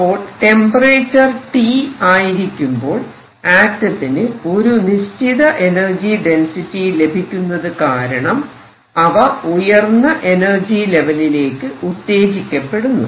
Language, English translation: Malayalam, So, at temperature T there exists some energy density and that makes these atoms excite and they go up